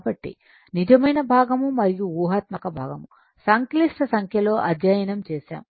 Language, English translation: Telugu, So, real and imaginary part you separate now you have studied in the complex number